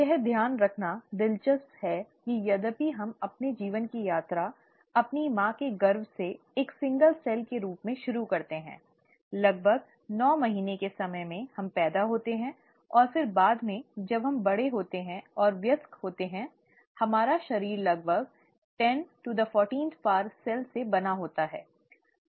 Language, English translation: Hindi, What's interesting is to note that though we all start our life’s journey as a single cell in our mother’s womb, in about nine months’ time, we are born, and then later as we grow and become an adult, our body is made up of roughly 1014 cells